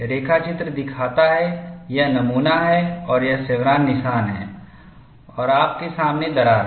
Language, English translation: Hindi, The sketch shows, this is the specimen and this is the chevron notch and you have the crack front